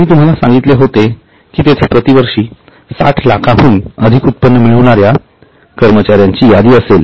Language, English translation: Marathi, I had told you that there will be a list of employees who are earning more than 60 lakhs per year